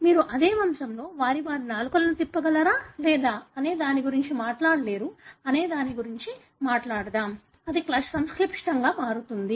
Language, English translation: Telugu, You cannot talk about whether, in the same pedigree you cannot talk about whether they are able to roll their tongue or not; that becomes complicated